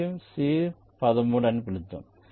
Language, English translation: Telugu, lets call it c three